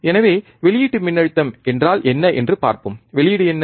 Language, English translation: Tamil, So, what is the output voltage let us see, what is the output